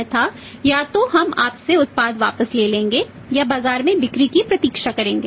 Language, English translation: Hindi, Otherwise you are either we will collect the product back from you or wait for the sales in the market